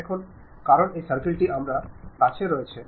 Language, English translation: Bengali, Now, because this circle I have it